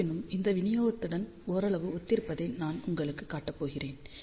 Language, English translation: Tamil, However, I am going to show you somewhat similar to this distribution